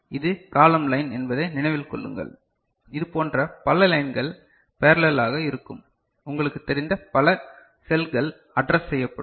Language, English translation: Tamil, Remember this is column line so many such lines will be in parallel, right many such you know, cells will be addressed